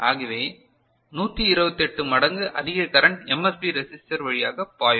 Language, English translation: Tamil, So, 128 times more current will be flowing through the MSB ok, MSB resistor right